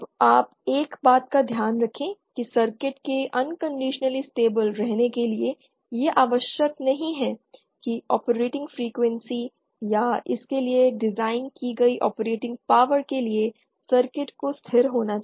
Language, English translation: Hindi, Now mind you one thing that it is not necessary always to for the circuit to be unconditionally stable the circuit has to be stable for the operating frequencies or the operating powers that it is designed for